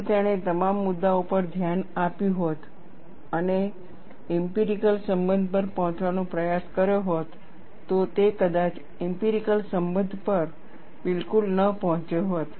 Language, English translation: Gujarati, If he had looked at all issues and attempted to arrive at an empirical relation, he may not have arrived at an empirical relation at all